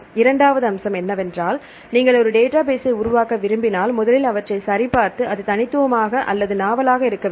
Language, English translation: Tamil, Second aspect is if you want to develop a database, first you have to check this should be unique this should be a novel